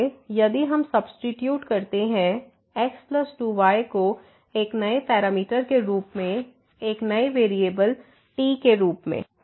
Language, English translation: Hindi, So, if we substitute plus 2 as a new parameter, as a new variable